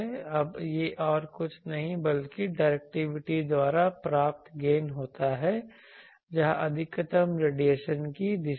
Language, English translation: Hindi, Now this is nothing but gain by directivity where in the direction of maximum radiation